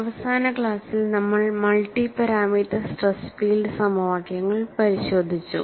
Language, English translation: Malayalam, So, in this class, what we had looked at was, we had looked at a review of multi parameter stress field equations